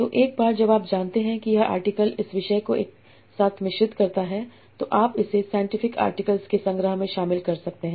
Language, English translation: Hindi, So, yeah, once you know that this article blends these topics together, you can situate that in a collection of scientific articles